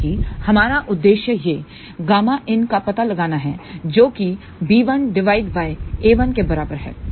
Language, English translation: Hindi, Because, our objective is to find gamma L which is equal to b 1 by a 1